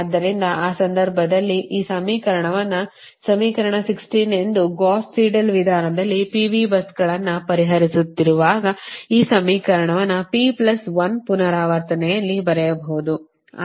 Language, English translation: Kannada, so so in that case you you this equation, this equation, that is equation sixteen, this equation, when you are considering a pv buses in gauss seidel method, this equation you can write in p plus one iteration